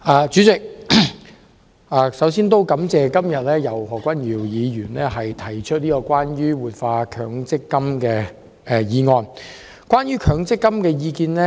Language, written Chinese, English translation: Cantonese, 代理主席，首先感謝何君堯議員今天提出"活化強制性公積金"議案。, Deputy President first of all I would like to thank Dr Junius HO for proposing todays motion on Revitalizing the Mandatory Provident Fund